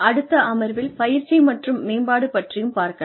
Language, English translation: Tamil, And, in the next session, we will cover training